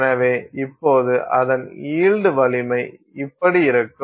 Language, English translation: Tamil, So, now its yield strength will be like this